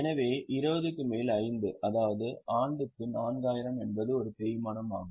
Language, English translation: Tamil, So, 20 upon 5, that means 4,000 per annum is a depreciation